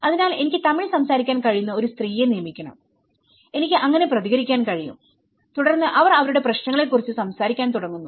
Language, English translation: Malayalam, So, I have to hire one lady who can speak Tamil and I could able to respond so and then they start speaking about their issues